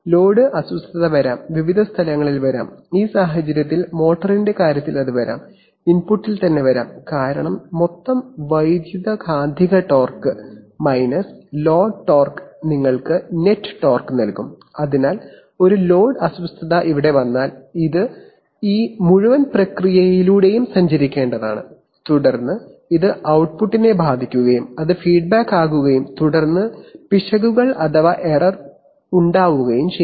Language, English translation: Malayalam, The load disturbance can come in, come in various places, it can, in this case, in the case of the motor it can come, it can come at the input itself because total electromagnetic torque minus load torque will give you the net torque, so if a load disturbance comes here, this must traverse through this whole process and then it will affect the output and then it will be feedback and then there will be error